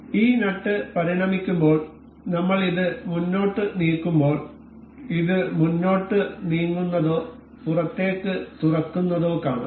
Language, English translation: Malayalam, So, as we move this we as we evolve this nut we can see this moving forward or opening it outward